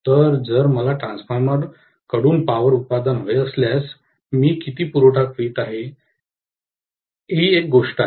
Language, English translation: Marathi, So, if I want so much of power output from the transformer, really how much should I be supplying, this is one thing